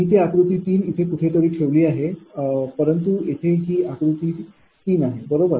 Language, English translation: Marathi, ah, i have placed it here, but this is figure three right